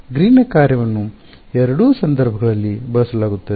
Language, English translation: Kannada, So, Green’s function is used in both cases